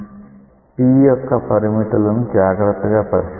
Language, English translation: Telugu, See look carefully into the limits of t